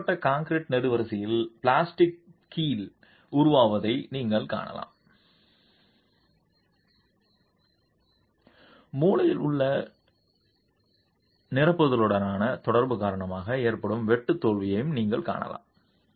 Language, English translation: Tamil, You can see the formation of the plastic hinge here in the reinforced concrete column itself, you can see the shear failure that is caused because of the interaction with the infill at the corner